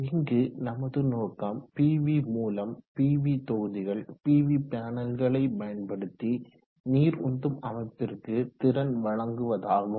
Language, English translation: Tamil, So the objective here is that we would like to use the PV source, the PV modules, the PV panels to power the water pumping system